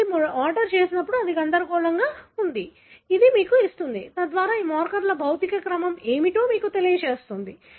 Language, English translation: Telugu, So, it is jumbled up when you order, it, it gives you the, so that sort of tells you what is the physical order of these markers